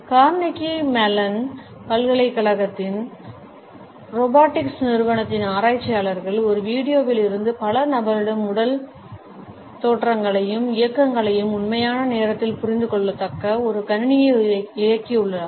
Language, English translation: Tamil, Researchers at Carnegie Mellon University’s Robotics Institute have enabled a computer, which can understand the body poses and movements of multiple people from video in real time